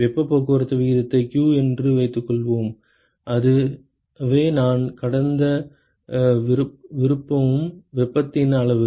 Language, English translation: Tamil, Let us say the heat transport rate is q that is the amount of heat that I want to transport